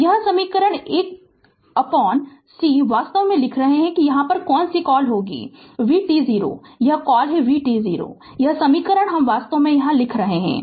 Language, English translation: Hindi, So, this equation 1 by c you are writing actually your what you call that is v t 0 here what you call v t 0 this equation you are writing actually